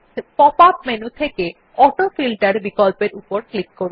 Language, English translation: Bengali, Click on the AutoFilter option in the pop up menu